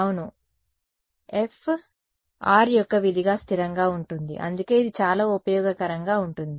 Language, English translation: Telugu, Yeah, F remains constant as a function of r which is why it is very useful